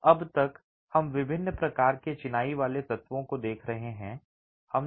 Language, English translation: Hindi, So far we've been looking at the different types of masonry elements